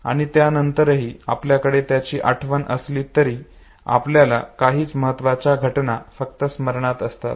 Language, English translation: Marathi, And even thereafter although we have a memory of it, we have the recollection of only significant events not everything